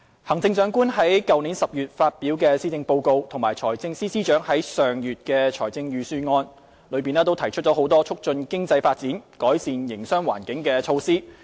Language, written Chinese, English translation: Cantonese, 行政長官在去年10月發表的施政報告及財政司司長在上月的財政預算案內提出多項促進經濟發展、改善營商環境的措施。, A number of initiatives to promote economic development and improve the business environment were proposed in the Policy Address presented by the Chief Executive in October last year as well as the Budget announced by the Financial Secretary last month